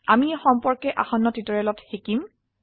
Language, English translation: Assamese, We will learn about these in the coming tutorials